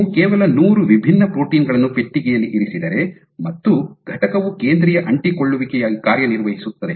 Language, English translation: Kannada, It is not that you just put hundred different proteins in a box and the entity will operate as a focal adhesion